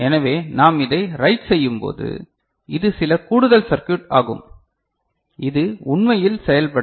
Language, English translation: Tamil, So, when we are writing it this is some additional circuitry which actually making it happen ok